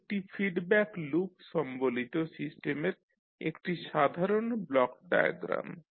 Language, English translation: Bengali, So this is basically a typical the block diagram of the system having one feedback loop